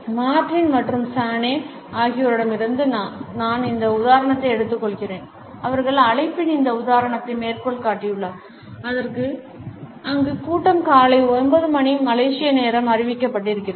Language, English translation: Tamil, I take this example from Martin and Chaney, who have cited this example of an invitation where the meeting is announced at 9 AM “Malaysian time”